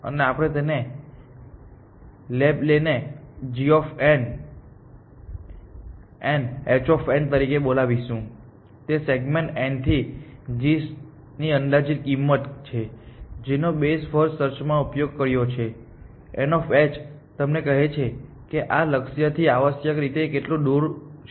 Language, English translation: Gujarati, And bound we will that label we will call g of n, h of n is an estimated cost of the segment from n to g, that we have used in best first search that the h of n tells you how far this goal is from this from the goal node essentially